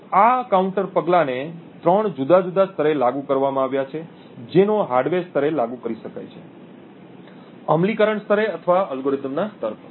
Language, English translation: Gujarati, So, these counter measures have been applied at three different levels they can be applied at the hardware level, at the implementation level, or at the algorithm level